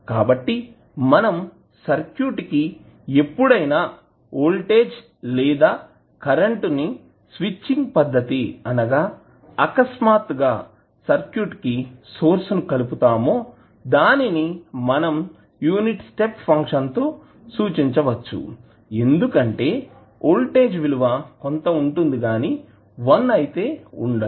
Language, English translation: Telugu, So, whenever you apply voltage or current to the circuit through some switching arrangement it is nothing but you suddenly apply the source to the circuit and it is represented with the help of the unit step function because the value of voltage will not be 1 it will be some value